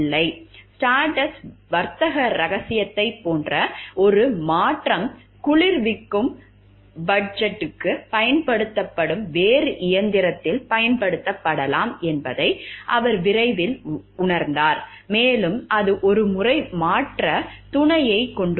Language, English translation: Tamil, He soon realizes that a modification similar to Stardust trade secret could be applied to a different machine used for cooling fudge, and it once has the change mate